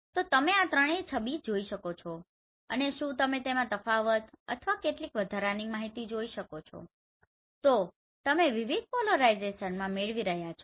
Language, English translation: Gujarati, So you can see all these three images and can you find out the difference or some additional information which you are getting in different polarization